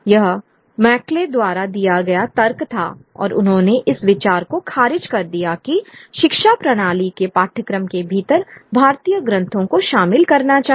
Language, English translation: Hindi, That was the argument made by McCauley and he dismissed the idea that the education system should include Indian texts within the syllabi